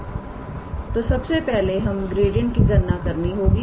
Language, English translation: Hindi, So, first of all we have to calculate its gradient